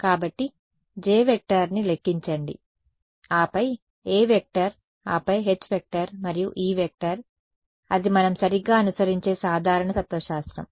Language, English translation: Telugu, So, calculate J then A then H and E that is the general philosophy that we follow right